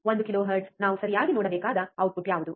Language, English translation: Kannada, One kilohertz what is the output that we have to see right